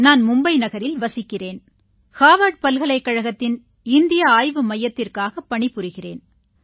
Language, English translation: Tamil, I am a resident of Mumbai and work for the India Research Centre of Harvard University